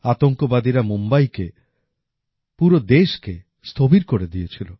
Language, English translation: Bengali, Terrorists had made Mumbai shudder… along with the entire country